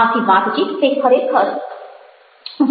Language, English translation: Gujarati, that is the conversation